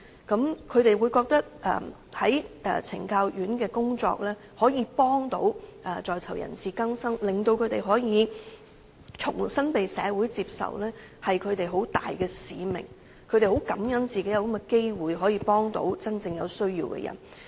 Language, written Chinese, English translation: Cantonese, 她們認為在懲教院所的工作可以幫助在囚人士更生，令他們可以重新被社會接受是她們很大的使命，她們很感恩自己有這種機會可以幫助真正有需要的人。, They consider working in penal institutions can help them to realize their mission that is to help inmates to rehabilitate so that they would be accepted by the community again . They are grateful that they can have the opportunity to help those in genuine needs